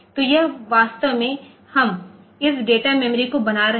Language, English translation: Hindi, So, that is actually we are making this data memory